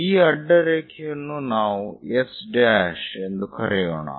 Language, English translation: Kannada, So, let us call this point as O